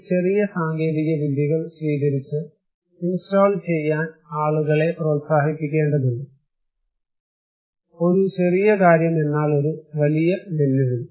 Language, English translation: Malayalam, Now, we need to promote, we need to encourage people to adopt and install these small technologies, a small thing but a big challenge